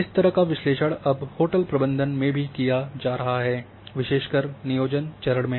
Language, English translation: Hindi, This kind of analysis is now being done even in the hotel management especially during the planning stages